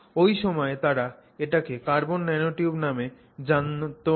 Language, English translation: Bengali, It is just that at that time they did not name it as a carbon nanotube